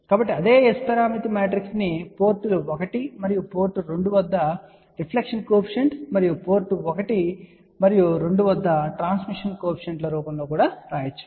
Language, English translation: Telugu, So, the same S parameter matrix now, can be written in the form of reflection coefficient at ports 1 and port 2 and transmission coefficients at port 1 and 2